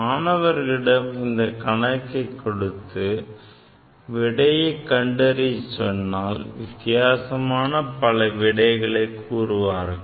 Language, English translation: Tamil, If I give this problem to the students, different students will write different answer